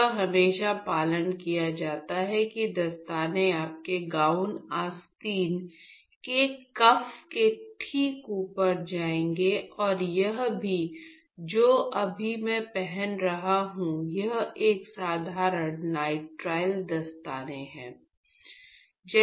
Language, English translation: Hindi, So, it is always followed that the glove would go just above the cuff of your the gown sleeve and this what I am wearing now is a simple nitrile glove